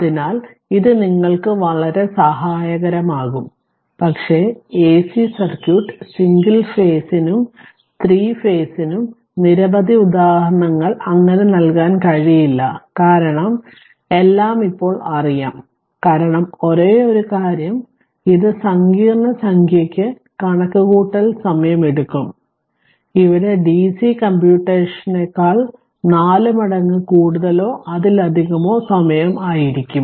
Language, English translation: Malayalam, So, it will very helpful for you, but repeating once again that for AC circuit single phase as well as your 3 phase we cannot give so, many examples because of course, everything is known to you now, only thing is that because it complex number it takes time computational time, here than DC computational will be more than may be 4 times, or even more right